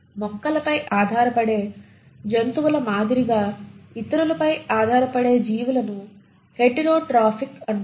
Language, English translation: Telugu, Organisms which depend on others, like animals which depend on plants, are called as heterotrophic